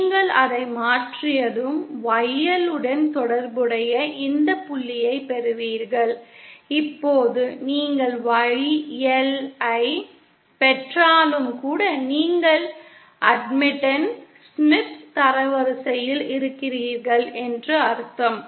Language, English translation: Tamil, Once you shift it you get this point YL corresponding toÉ Now even now once you are getting Y L that means you are in the Admittan Smith Chart